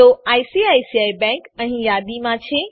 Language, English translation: Gujarati, So ICICI bank is listed